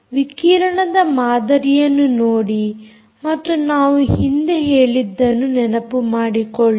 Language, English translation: Kannada, so look at the radiation pattern and go back to what we said